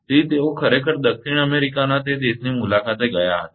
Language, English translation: Gujarati, So, he actually visited that country in South America